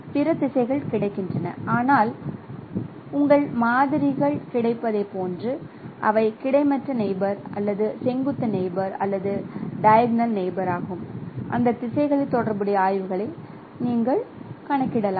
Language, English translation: Tamil, But depending upon the availability of your samples, either they are horizontal neighbors or vertical neighbors or diagonal neighbors, you can compute the corresponding gradients in along those directions